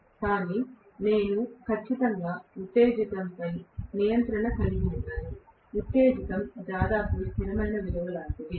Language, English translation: Telugu, But I am going to have definitely no control over the excitation; the excitation is almost like a constant value